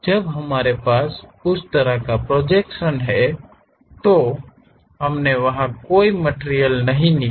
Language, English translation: Hindi, When we have that kind of projection, we did not remove any material there